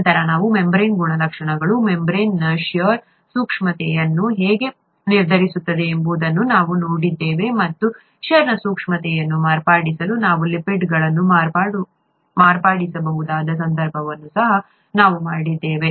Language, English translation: Kannada, Then we saw how the membrane characteristics determine membrane shear sensitivity, and we also looked at a case where we could possibly modify the lipids to modify the shear sensitivity